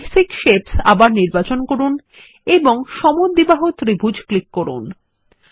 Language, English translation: Bengali, We shall select Basic shapes again and click on Isosceles triangle